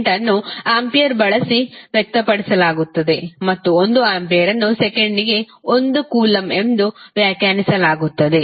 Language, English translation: Kannada, Current is defined in the form of amperes and 1 ampere is defined as 1 coulomb per second